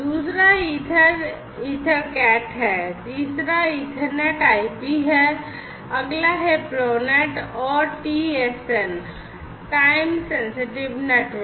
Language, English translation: Hindi, Second one is the ether EtherCat, third is Ethernet/IP, next is Profinet, and TSN, Time Sensitive Networks